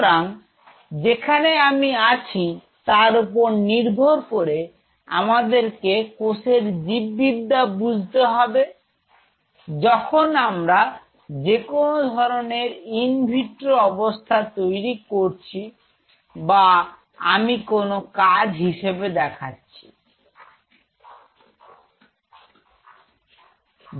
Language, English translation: Bengali, So, depending on where am I; I have to understand the biology of this cell which is under growing in any in vitro setup or I am not even performing that function I am here 0